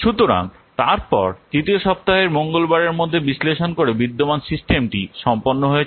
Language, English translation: Bengali, So then by the Tuesday of week three, analyze the existing system is completed